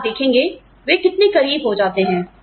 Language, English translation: Hindi, And, you see, how close they become to you